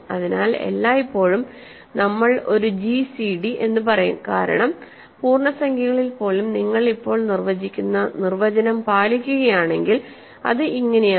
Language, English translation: Malayalam, So, always we will say a gcd because even in integers if you follow the definition of that I will give now